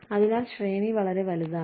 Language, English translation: Malayalam, So, the range is large